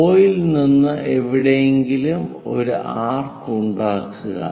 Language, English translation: Malayalam, From O make an arc somewhere there